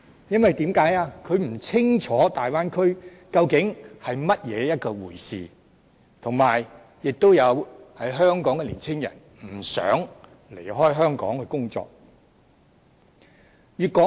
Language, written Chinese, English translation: Cantonese, 因為他們不清楚大灣區究竟是甚麼一回事，以及香港的年青人不想離開香港到內地工作。, Because they are not sure what the Bay Area is and the young people in Hong Kong do not want to leave Hong Kong to work in the Mainland